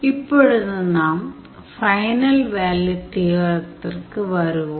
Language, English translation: Tamil, So, this completes the proof of the final value theorem